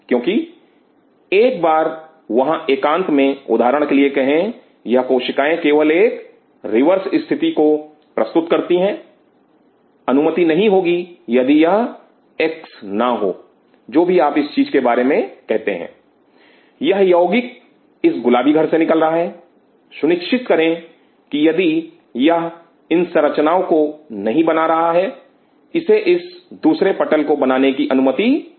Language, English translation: Hindi, Because once there in isolation say for example, these cells just talk about a reverse situation, these cells are not allowed if this x whatever you talking about this x thing, this x compound is secreted by this pink house to ensure that if this does not form this kind of a structure, is not allowed to from this second roof